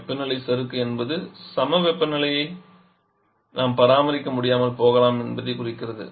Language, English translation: Tamil, The performance the temperature glide refers to that we may not be able to maintain that isothermal condition